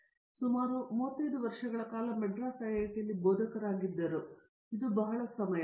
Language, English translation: Kannada, He was a faculty here at IIT, Madras for almost 35 years, which is a very long time